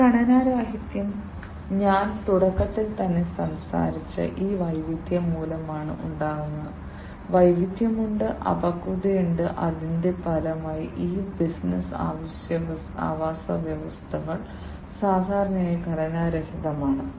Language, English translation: Malayalam, And this unstructuredness, it arises because of this diversity that I talked about at the very beginning, there is diversity, there is immaturity, and as a result of which these business ecosystems, are typically unstructured